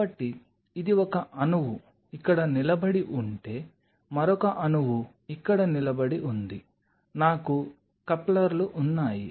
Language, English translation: Telugu, So, if this is one molecule standing here another one molecule standing here I have couplers